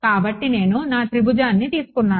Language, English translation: Telugu, So, I take my triangle ok